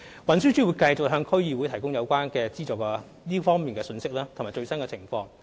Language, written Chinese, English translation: Cantonese, 運輸署會繼續向區議會提供這方面的資助信息及匯報最新情況。, TD will continue to provide District Councils with information on the provision of subsidies in this respect and report on the latest position